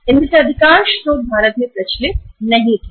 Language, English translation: Hindi, Most of these sources were not prevalent in India